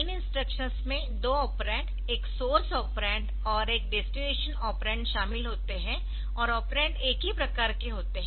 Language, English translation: Hindi, So, they involve two operands, now a source operands and a destination operand, and the operands are of size